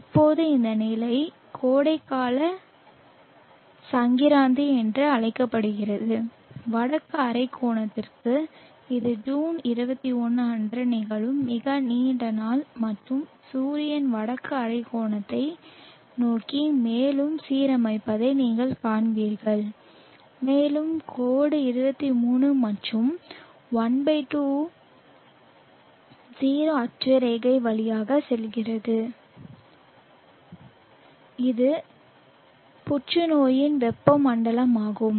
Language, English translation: Tamil, Now this position is call the summer solve sties for the northern hemisphere it is the longest day that will occur on June 21st and you will see that the sun allying more towards the northern hemisphere and the line passes through the 23 and 1/2 0 latitude which is the tropic of cancer